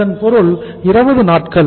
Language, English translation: Tamil, This duration is 20 days